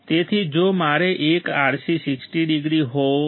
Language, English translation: Gujarati, So, if I want one RC is 60 degrees